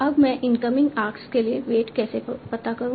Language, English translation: Hindi, Now, how do we find out the weight for the incoming arcs